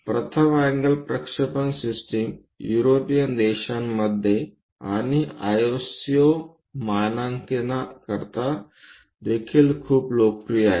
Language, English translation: Marathi, The first angle projection system is very popular in European countries and also for ISO standards